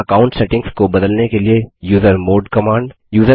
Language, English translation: Hindi, usermod command to change the user account settings